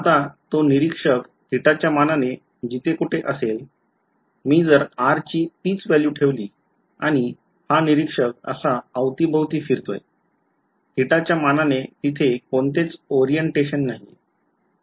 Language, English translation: Marathi, Now wherever this r observer is with respect to theta; if I keep the same value of r and this observer walks around like this, there is no orientation with respect to theta anymore right